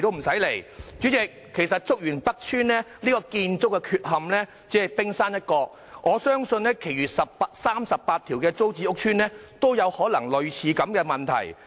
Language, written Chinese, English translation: Cantonese, 代理主席，其實竹園北邨的建築問題只是冰山一角，我相信其餘38個租置屋邨也可能有類似的問題。, Deputy President in fact the building problems of Chuk Yuen North Estate only represent the tip of an iceberg and I believe there may be similar problems in the other 38 TPS estates